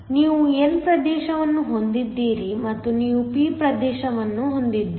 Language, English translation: Kannada, So, you have an n region and you have a p region